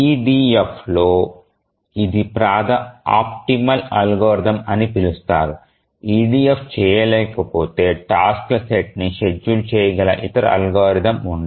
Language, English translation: Telugu, EDF, we saw that it is the optimal algorithm, there can be no other algorithm which can schedule a set of tasks if EDF cannot